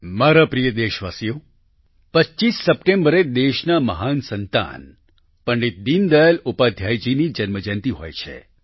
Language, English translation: Gujarati, the 25th of September is the birth anniversary of a great son of the country, Pandit Deen Dayal Upadhyay ji